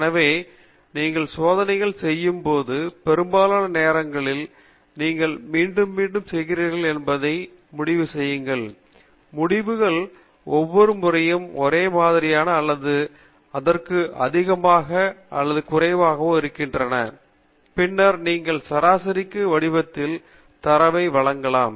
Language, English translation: Tamil, So, when you do experiments most of the time you do repeats just to convince yourself that the results are pretty much the same or more or less the same during each repeat, and then, you present the data in an average form